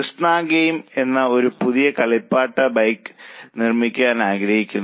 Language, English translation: Malayalam, So, Krishna game wants to produce a new toy bike